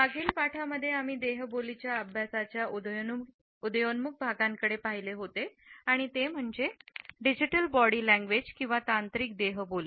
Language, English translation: Marathi, In the previous module, we had looked at an emerging area in the studies of Body Language and that was the Digital Body Language